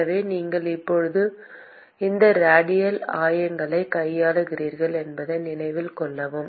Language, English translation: Tamil, So, note that you are now dealing with these radial coordinates